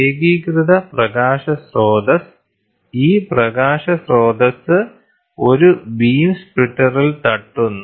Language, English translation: Malayalam, Coherent light source; so, this light source hits at a beam splitter